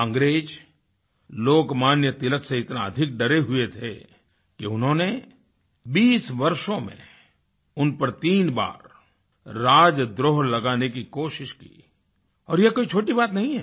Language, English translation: Hindi, The British were so afraid of Lok Manya Tilak that they tried to charge him of sedition thrice in two decades; this is no small thing